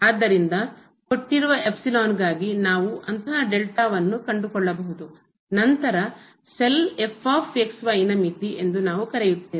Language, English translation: Kannada, So, if for a given epsilon, we can find such a delta, then we will call that the cell is the limit of